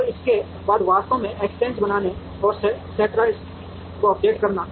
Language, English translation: Hindi, And after that actually making the exchange and updating the centroid